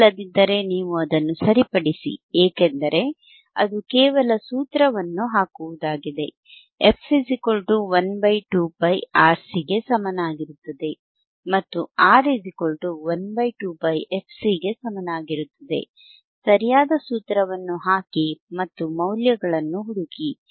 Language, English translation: Kannada, If not, you correct it because it is just putting formula, f equals to 1 upon 2 pi RC two pi into RC and R equals to 1 upon 2 pi fcC, right